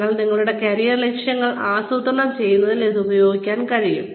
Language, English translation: Malayalam, But, it can be used in, planning of your career objectives